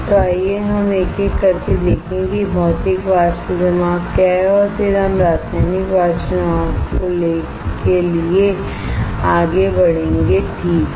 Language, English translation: Hindi, So, let us see one by one what is Physical Vapor Deposition and then we will move on to what is Chemical Vapor Deposition alright